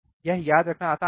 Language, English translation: Hindi, It is easy to remember